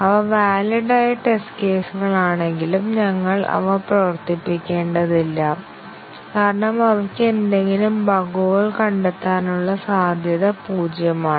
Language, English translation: Malayalam, Even though they are valid test cases, we do not need to run them, because they have zero possibility of detecting any bugs